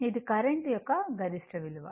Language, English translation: Telugu, This is the maximum value of the current